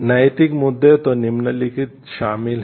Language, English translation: Hindi, The moral issues then include the following